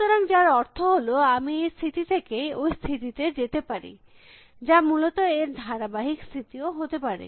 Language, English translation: Bengali, So, which means I can go from this state to this could be even successes state